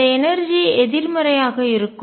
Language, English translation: Tamil, And this energy is going to be negative